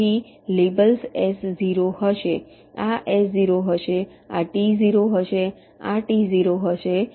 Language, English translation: Gujarati, so the labels will be s zero, this will be s zero